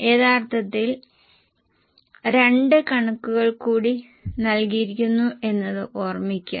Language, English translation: Malayalam, Please keep in mind that originally there were two more figures given